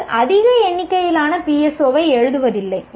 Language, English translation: Tamil, That is, you don't keep on writing a large number of PSOs